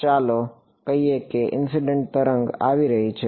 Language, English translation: Gujarati, So, let us say the incident wave is coming like this